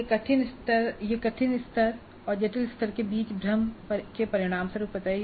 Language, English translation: Hindi, These results from a confusion between difficulty level and complex level